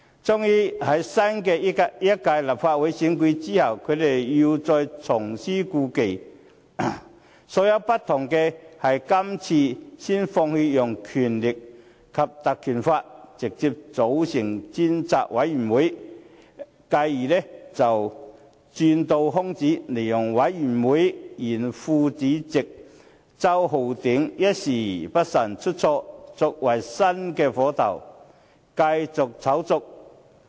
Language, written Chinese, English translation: Cantonese, 終於，在新一屆立法會選出後，他們又再重施故技，所不同的是這次先放棄使用《條例》，直接便成立專責委員會，繼而再鑽空子，利用專責委員會原副主席周浩鼎議員一時不慎出錯，作為新的火頭，繼續炒作。, Eventually they used the same trick again after the new Legislative Council took office . But instead of invoking the Ordinance they established a select committee directly . Exploiting the opportunity arising from the careless mistake made by Mr Holden CHOW former Deputy Chairman of the Select Committee they managed to find a new excuse to rekindle the matter